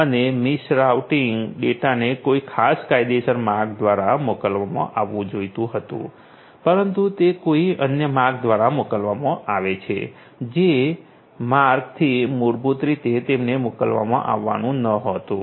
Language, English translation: Gujarati, Then, misrouting; so, the data are supposed to be sent through some legitimate route; but basically you know what happens is they are sent through some other route through which they are not supposed to be sent originally